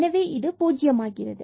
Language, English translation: Tamil, So, this will be 2